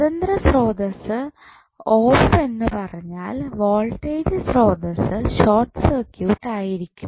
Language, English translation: Malayalam, Independent Sources turned off means, the voltage source would be short circuited and the current source would be open circuit